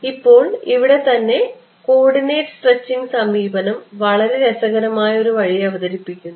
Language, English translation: Malayalam, Now here itself is where the coordinate stretching approach presents a very interesting way